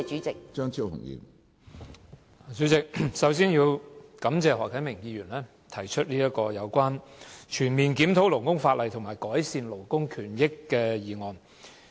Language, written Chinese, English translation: Cantonese, 主席，我首先感謝何啟明議員提出"全面檢討勞工法例，改善勞工權益"的議案。, President first of all I would like to thank Mr HO Kai - ming for proposing the motion Conducting a comprehensive review of labour legislation to improve labour rights and interests